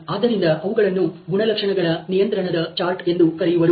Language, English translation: Kannada, So, they are known as attribute control charts